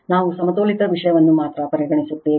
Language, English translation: Kannada, We will consider only balanced thing